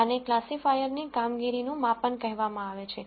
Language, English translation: Gujarati, These are called performance measures of a classifier